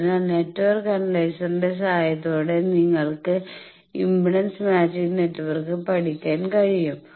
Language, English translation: Malayalam, So, with the help of the network analyser you can study impedance matching network